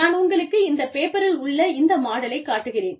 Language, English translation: Tamil, Let me show you this, this model in the paper